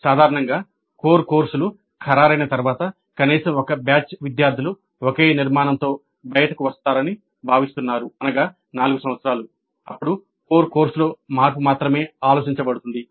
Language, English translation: Telugu, Typically once the core courses are finalized at least one batch of students is expected to come out with the same structure that is four years